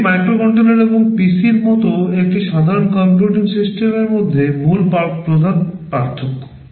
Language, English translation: Bengali, These are broadly the main differences between a microcontroller and a normal computing system like the PC